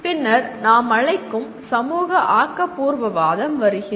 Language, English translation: Tamil, Then came what we call “social constructivism”